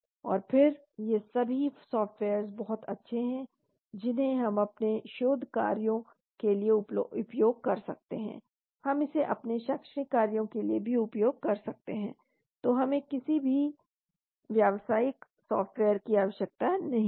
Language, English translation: Hindi, And then all these softwares are extremely good we can use it for our research purposes, we can use it for our academic purposes also, so we do not need any commercial software